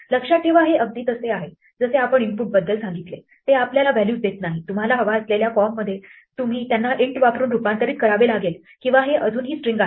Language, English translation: Marathi, Remember this is exactly like what we said about input it does not get you the values in the form that you want you then have to convert them using int or these are still strings